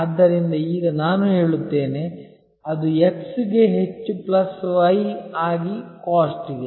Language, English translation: Kannada, So, it is now I would say that it is x into MOST plus y into COST